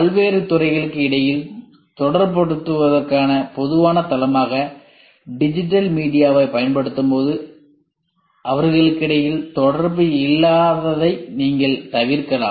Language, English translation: Tamil, And when we use a digital media as the common platform of communicating between various departments, digital platform with various department